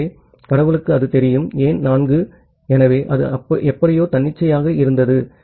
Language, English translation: Tamil, So, god knows so, why 4 so, it was somehow arbitrary